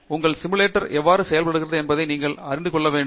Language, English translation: Tamil, You have to know, how your simulator works